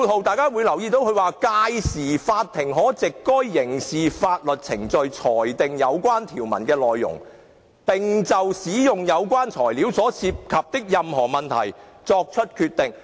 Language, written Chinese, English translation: Cantonese, 第四，律政司說"屆時，法庭可藉該刑事法律程序裁定有關條文的內容，並就使用有關材料所涉及的任何問題作出決定。, Fourth DoJ stated that [i]t will then be for the Court seized of the criminal proceedings to determine the content of the sections and to decide any issues concerning the use of the material